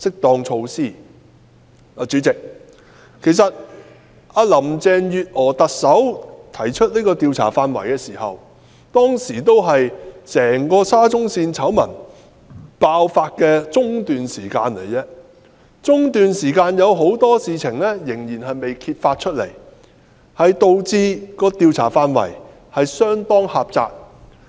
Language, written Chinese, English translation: Cantonese, 代理主席，在特首林鄭月娥提出上述這4方面的調查範圍時，只是整個沙中線工程的醜聞爆發的中段，當時仍有很多事情未被揭發，以致有關調查範圍相當狹窄。, Deputy President when Chief Executive Carrie LAM proposed the scope of inquiry covering the four aspects mentioned the outbreak of the construction works scandal of SCL was just in the middle . Since many issues were not exposed then the scope of the inquiry is quite restricted